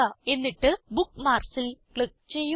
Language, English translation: Malayalam, Now click on the Bookmark menu